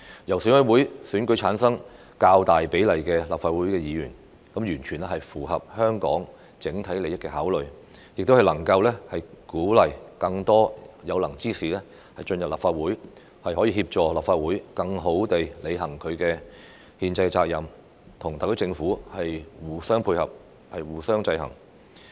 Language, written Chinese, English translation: Cantonese, 由選委會選舉產生較大比例的立法會議員，完全符合香港的整體利益考慮，亦能鼓勵更多有能之士進入立法會，協助立法會更好地履行其憲制責任，與特區政府互相配合，互相制衡。, It is entirely consistent with the overall interests of Hong Kong for EC to elect a larger proportion of Legislative Council Members . It will also encourage more capable people to join the Legislative Council and help the Council better perform its constitutional duties while complementing the SAR Government and keeping checks and balances on each other